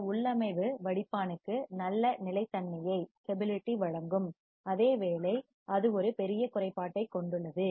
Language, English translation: Tamil, While this configuration provides a good stability to the filter, it has a major drawback